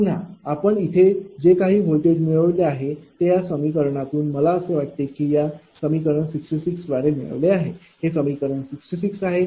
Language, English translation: Marathi, Again, from this, whatever we have computed this voltage equation this is coming, that is I thing it is 66, this is equation 66 from this here it is coming from this equation, right